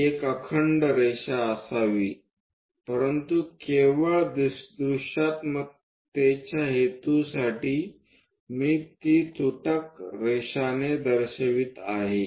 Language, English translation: Marathi, It should be a continuous line, but just for visibility purpose, I am showing it by a dashed line